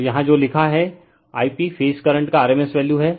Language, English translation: Hindi, So, your what it is written here I p is the rms value of the phase current right